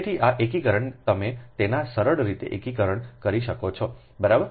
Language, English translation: Gujarati, so this integration, you can do it a simply integration, right